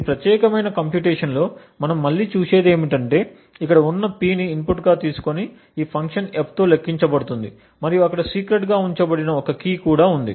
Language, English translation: Telugu, What we look at again is this particular computation, where there is a P which is taken as input and computed upon with this function F and there is also a key which is kept secret